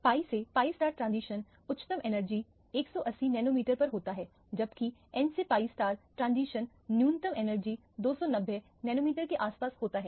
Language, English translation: Hindi, The pi to pi star transition occurs at a higher energy 180 nanometers, whereas the n to pi star transition occurs at a lower energy around 290 nanometers or so